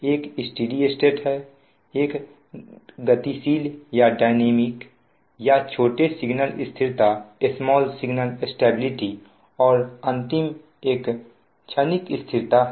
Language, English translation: Hindi, one is steady state, one another one, dynamic, are called small signal stability and last one is that transient stability